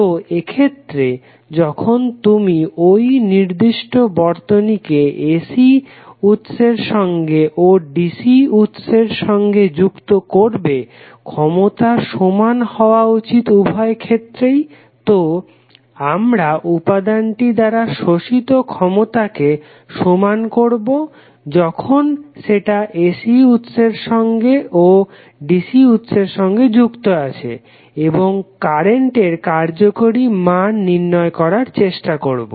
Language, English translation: Bengali, So in that case when we connect this particular circuit to AC source and DC source the power should be equal in both of the cases, so we will equate the power consumed by the element when it is connected to AC and VC and try to find out what should be the value of effective current